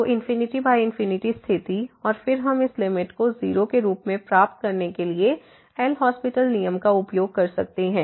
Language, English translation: Hindi, So, infinity by infinity case, and then we can use L’Hospital rule with to get this limit as 0